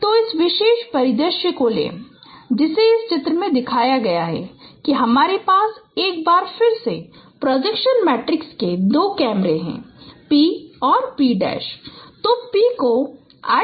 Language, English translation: Hindi, So take this particular scenario which has been shown in this diagram that you have once again two cameras of projection matrices P and P prime